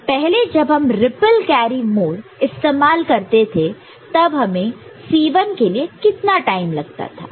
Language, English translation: Hindi, Earlier using ripple carry mode what was the time required for C 1